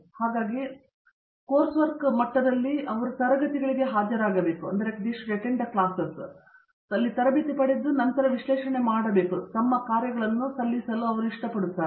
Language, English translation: Kannada, So they will have to like climb up to get that level of attending classes and then analyzing and then submitting assignments and so on